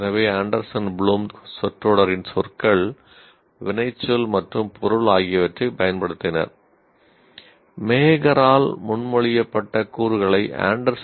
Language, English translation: Tamil, So, the Anderson and Bloom have used the words, word phrase, object of the phrase